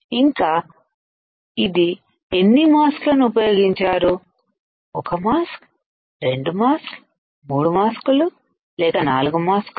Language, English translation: Telugu, So, how many mask you have used; 1 mask, 2 masks, 3 mask or 4 mask